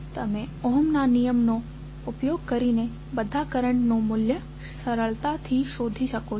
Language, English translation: Gujarati, You can easily find out the value of currents using Ohm's law